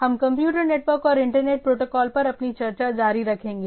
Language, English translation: Hindi, So, we will continue our discussion on Computer Networks and Internet Protocols